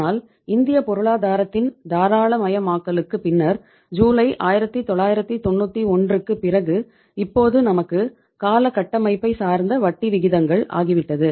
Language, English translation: Tamil, But after July 1991 after the liberalization of the Indian economy we have now the term structure of uh interest rates